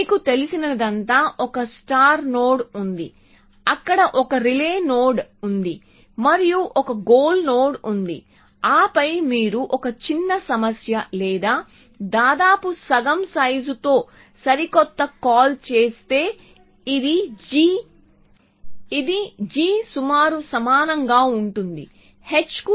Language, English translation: Telugu, All you know is that there is a start node there is a relay node and there is a gold node and then you making a fresh call which is to a smaller problem or roughly of half a size provided this is this holds that g is roughly equal to h